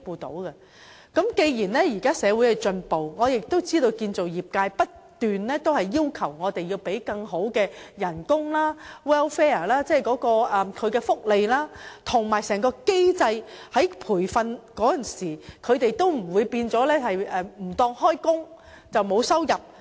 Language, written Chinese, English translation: Cantonese, 不過，現今社會進步，建造業界亦不斷要求有更好的工資、福利、制度，使他們在接受培訓時不會因被視作沒有上班而沒有收入。, Nevertheless with the advancement of society the construction industry is also demanding for better pay and benefits and a better system so that workers will not be regarded as absent from work and thus earn no pay at all when they are required to receive occupational training